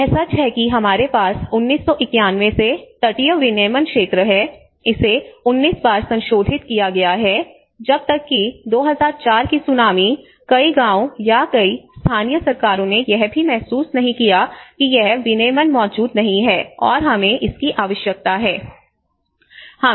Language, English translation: Hindi, It is true the evidence is we have the coastal regulation zone from 1991, it has been revised 19 times until the wakeup of the 2004 tsunami, many villages or the many local governments did not even realise that this regulation do exist and this is what we need to do